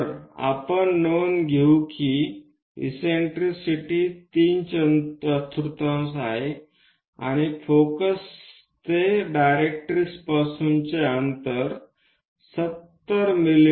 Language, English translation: Marathi, So, let us note down that eccentricity is three fourth and from directrix is supposed to be at 70 mm for the focus